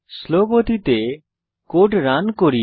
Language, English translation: Bengali, Lets Run the code in slow speed